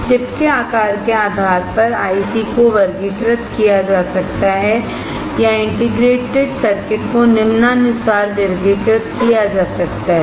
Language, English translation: Hindi, Based on the chip size the ICs can be classified or integrated circuits can be classified as follows